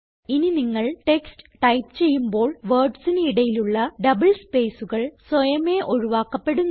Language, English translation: Malayalam, The next text which you type doesnt allow you to have double spaces in between words automatically